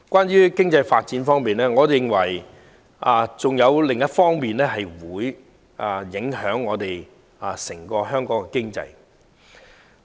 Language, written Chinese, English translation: Cantonese, 在經濟發展方面，我認為還有另一點會影響香港的整體經濟。, On economic development I think there is also one thing that has implications on the economy of Hong Kong overall